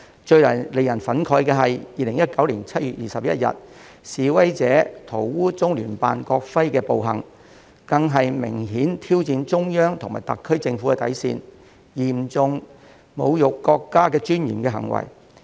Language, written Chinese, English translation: Cantonese, 最令人憤慨的是 ，2019 年7月21日示威者塗污中聯辦國徽的暴行，更是明顯挑戰中央及特區政府底線、嚴重侮辱國家尊嚴的行為。, What is most outrageous is that on 21 July 2019 some protestors went so far as to deface the national emblem hung in the Liaison Office of the Central Peoples Government in HKSAR and this amounted to a naked challenge to the limits of toleration for the Central Authorities and the SAR Government as well as a serious insult to the dignity of the country